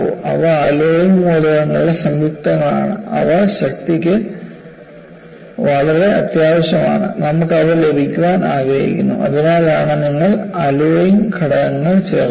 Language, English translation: Malayalam, And they are compounds of alloying elements, they are very essential for strength, you want to have them; that is why, you add alloying elements